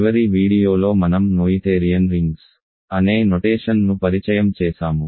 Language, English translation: Telugu, In the last video I introduced the notion of Noetherian Rings